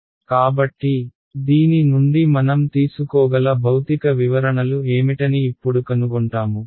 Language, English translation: Telugu, So, what are the physical interpretations that we can draw from this